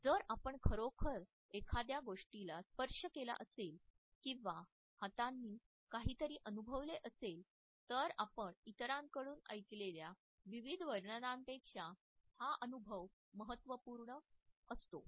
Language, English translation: Marathi, If we have actually touched something or we have experienced something with our hands, then this becomes a significant interpretation of the scenario in comparison to various versions which we might have heard from others